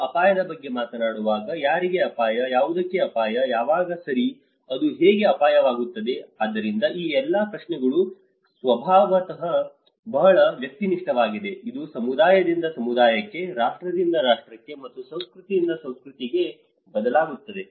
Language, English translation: Kannada, When we talk about risk, risk to whom, risk to what, risk at when okay, how it becomes a risk, so all these questions are very subjective in nature it varies from community to community, nation to nation and culture to culture and where your position is